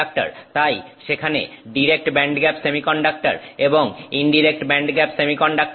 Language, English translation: Bengali, So, direct band gap semiconductor is there and an indirect band gap semiconductor is there